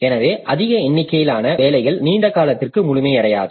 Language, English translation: Tamil, So, more number of jobs will remain incomplete for a longer time